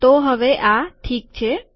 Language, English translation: Gujarati, So now this is okay